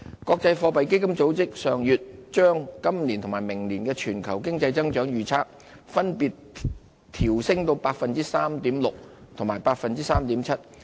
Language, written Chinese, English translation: Cantonese, 國際貨幣基金組織上月將今年及明年全球經濟的增長預測分別調升至 3.6% 和 3.7%。, Last month the International Monetary Fund revised up its global economic growth forecast for this year and next year to 3.6 % and 3.7 % respectively